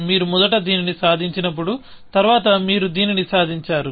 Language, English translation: Telugu, When you first, achieve this, then you achieved this